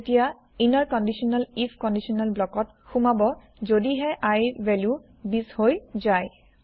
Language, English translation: Assamese, It will enter the inner conditional if conditional block only if the value of i is equal to 20